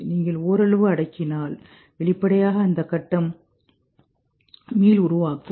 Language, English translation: Tamil, If you partially suppress then obviously that phase will rebound